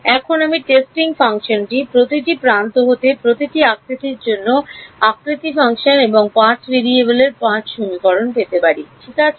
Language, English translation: Bengali, And I could take the testing function to be each one of the edges, the shape function corresponding to each edge and get 5 equations in 5 variables right